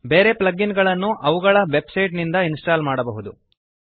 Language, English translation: Kannada, Other plug ins can be installed from the respective website